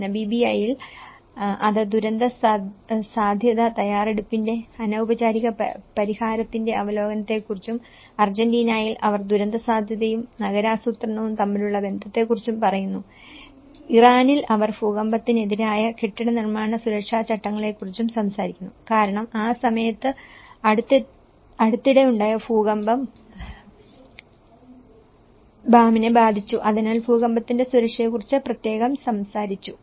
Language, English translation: Malayalam, Whereas in Namibia it talks on the review of informal settlement of disaster risk preparedness and in Argentina they talk about the relationship between disaster risk and urban planning and in Iran they talk about the building and construction safety regulations against earthquake because Bam has been affected by recent earthquake at that time and that side talked about the earthquake safety in very particular